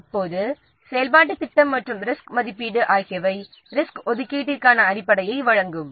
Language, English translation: Tamil, Then the activity plan and the risk assessment will provide the basis for allocating the resources